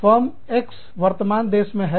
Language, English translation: Hindi, Firm X, is in the parent country